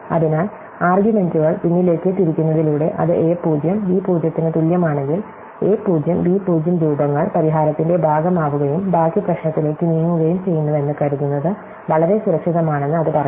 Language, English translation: Malayalam, So, turning the arguments backward, it says that therefore if a 0 equal to b 0, it is very safe to assume that a 0, b 0 forms part the solution and proceed to the rest of the problem